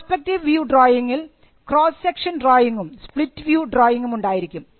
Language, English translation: Malayalam, So, perspective view drawing there are cross section view drawing split view drawing blow up